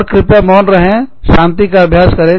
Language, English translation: Hindi, And, please exercise silence